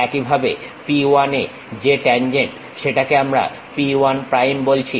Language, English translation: Bengali, Similarly, the tangent at p 1 which we are calling p 1 prime